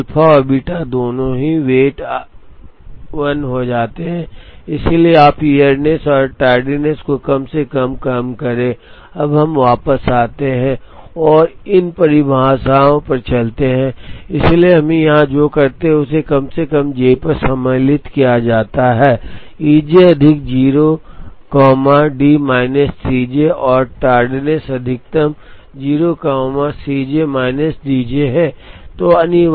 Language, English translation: Hindi, So, both alpha and beta the weights become 1, so you minimize earliness plus tardiness, now let us go back and go to these definitions, so what we do here is minimize summed over j, E j is max of 0 comma D j minus C j and tardiness is max of 0 comma C j minus D j